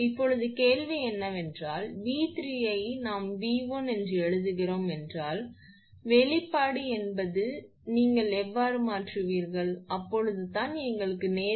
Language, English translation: Tamil, Now question is that that V 3 we are writing V 1 means this expression of V 2 you substitute here then only we will get 1